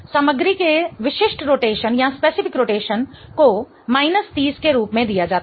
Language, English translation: Hindi, Specific rotation of the material is given as minus 30